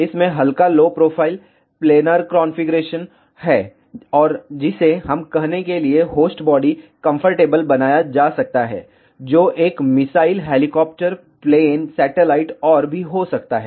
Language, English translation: Hindi, It has lightweight low profile, planar configuration, and which can be made conformal to let us say the host body which could be even a missile helicopter, plane, satellite and so on